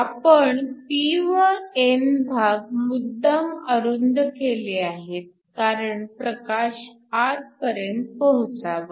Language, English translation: Marathi, We want to make the p and the n regions short so that the light can shine through